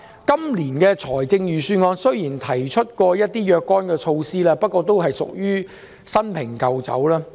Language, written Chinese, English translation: Cantonese, 雖然本年度預算案提出了若干措施，不過都屬於"新瓶舊酒"。, Although this years Budget puts forward a number of measures but they are all old wine in a new bottle